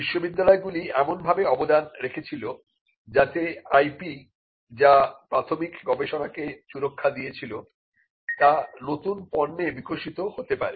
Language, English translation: Bengali, Universities also contributed in a way that the IP that protected the initial research could be developed into new products